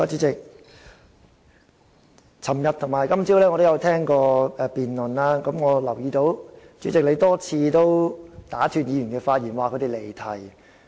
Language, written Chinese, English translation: Cantonese, 昨天與今早我有聆聽辯論，留意到主席多次打斷議員的發言，指他們離題。, I listened to this debate yesterday and this morning and noticed that the President had interrupted Members a number of times saying that they had digressed from the subject